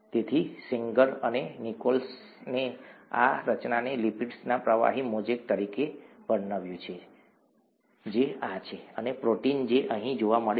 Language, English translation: Gujarati, So Sanger and Nicholson described this structure as a fluid mosaic of lipids which are these and proteins which are seen here